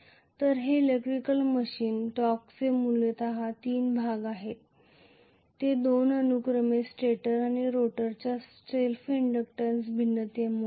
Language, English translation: Marathi, So, these are essentially the three portions of an electrical machines torque and these two are due to the self inductance variation of the stator and the rotor respectively